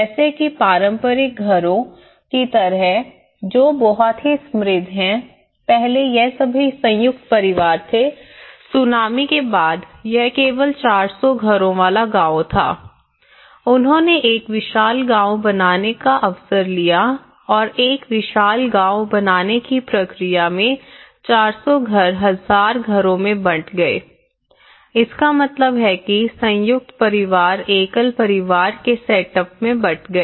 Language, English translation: Hindi, Like the traditional houses which has a very rich character this is all joint families earlier, it was only a four hundred households village after the tsunami they taken the opportunity to make a spacious village and in the process of making a spacious village 400 have become thousand houses so which means joint families have broken into the nuclear family setups